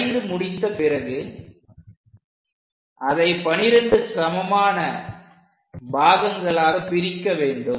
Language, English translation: Tamil, Once it is done, we have to divide this into 12 equal parts